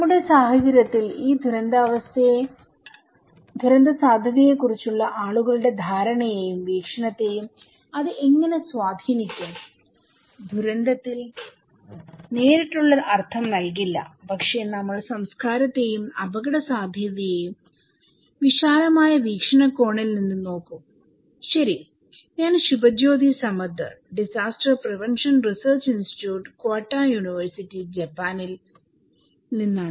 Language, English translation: Malayalam, And how it may influence people's perception and perspective of risk in our context this disaster risk, we may not give a direct connotations of disaster but we will look into culture and risk from a broader perspective, okay and I am Subhajyoti Samaddar, I am from Disaster Prevention Research Institute, Kyoto University, Japan